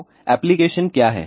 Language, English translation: Hindi, So, what are the application